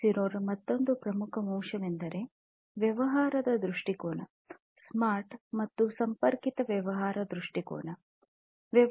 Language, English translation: Kannada, 0 is basically the business perspective; the Smart and Connected Business Perspective